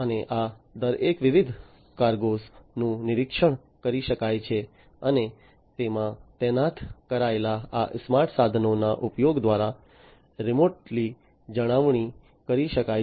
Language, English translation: Gujarati, And each of these different types of cargoes can be monitored and can be maintained remotely through the use of these smart equipments that are deployed in them